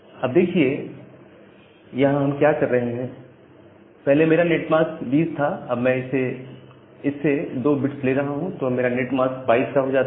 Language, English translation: Hindi, Now, here what we are doing my net mask would be earlier it was 20, I am taking to 2 bits, so the netmask could be 22 bits